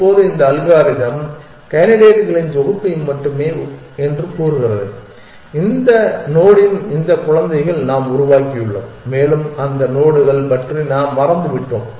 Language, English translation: Tamil, Now, this algorithm is saying that the set of candidates is only these children of this node that we have generated and we have forgotten about those are the nodes